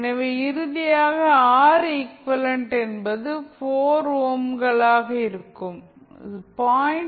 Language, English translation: Tamil, So now, finally the R equivalent that is 4 ohms, is connected in parallel with 0